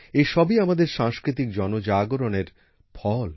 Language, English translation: Bengali, All this is the result of our collective cultural awakening